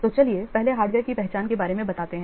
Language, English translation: Hindi, So let's first see about the identify the hardware